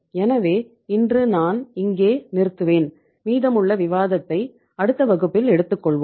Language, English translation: Tamil, So today I will stop here and the remaining part of discussion we will take up in the next class